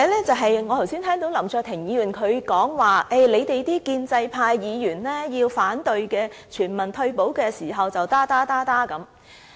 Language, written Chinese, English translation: Cantonese, 此外，我剛才聽到林卓廷議員提到，建制派議員想反對全民退休時便會說些甚麼甚麼。, Moreover just now I have heard Mr LAM Cheuk - ting say that we pro - establishment Members would say this and that when we want to oppose universal retirement protection